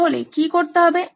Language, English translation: Bengali, What do you have to do then